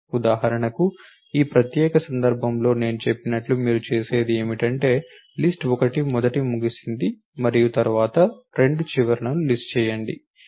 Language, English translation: Telugu, Then what we you do is as I said in this particular case for example, list 1 ended first and then list 2 ends later